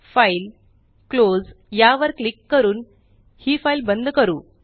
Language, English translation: Marathi, Let us now close this file by clicking on File gtgt Close